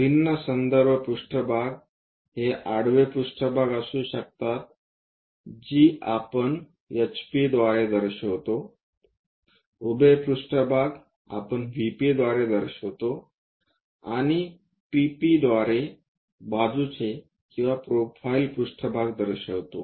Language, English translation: Marathi, The different reference planes can be a horizontal plane which we denoted by HP, a vertical plane we denoted by VP, and side or profile planes by PP